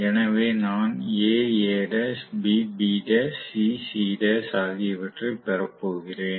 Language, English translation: Tamil, So, I am going to have may be A A dash, B B dash, C C dash